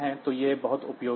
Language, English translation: Hindi, So, this is very much useful